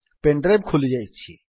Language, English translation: Odia, Pen drive has opened